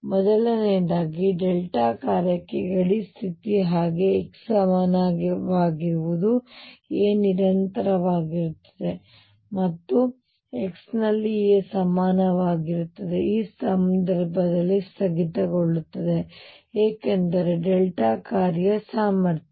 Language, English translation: Kannada, Number one: now the boundary condition is like that for a delta function so it is going to be that; psi at x equals a is continuous and also psi prime at x equals a is going to be discontinuous in this case, because of delta function potential